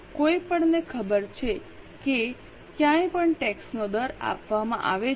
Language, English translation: Gujarati, Anybody is aware how much is a tax rate